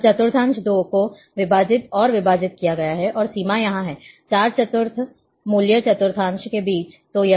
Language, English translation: Hindi, Now the quadrant 2 has been further divided, and the boundary is here, between 4 quad basic quadrants